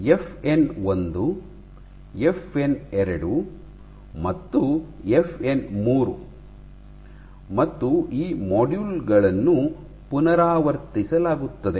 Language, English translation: Kannada, FN 1, FN 2 and FN 3 and , these modules are repeated